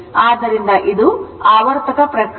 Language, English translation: Kannada, So, it is a cyclic process, right